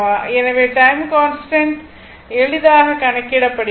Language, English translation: Tamil, So, you can easily compute your time constant right